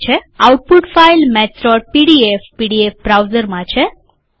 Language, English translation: Gujarati, The output file Maths.pdf is in the pdf browser